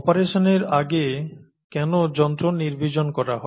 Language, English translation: Bengali, Why are instruments sterilized before an operation